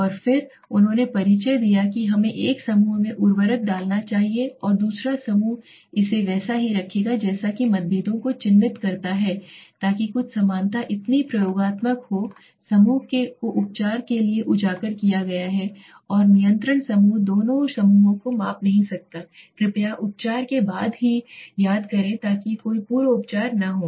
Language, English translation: Hindi, And he then introduced that let us have put the fertilizer into may be one group and the other group will keep it as it is to mark the differences right so something similarity so experimental group is exposed to the treatment and control group is not measurements on both the groups are made only after the treatment please remember so there is no pre treatment here okay